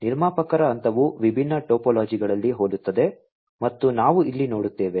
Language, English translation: Kannada, The producer phase is similar across different topologies and as we see over here